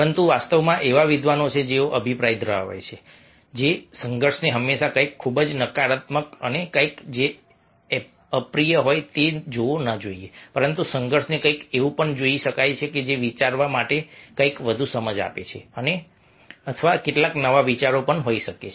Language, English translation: Gujarati, but there are scholars in fact who are the opinion that conflict should not be seen all the time something very negative and something which is unpleasant, but also conflict can be viewed, something which might give something of further inside to think, or some new ideas also might come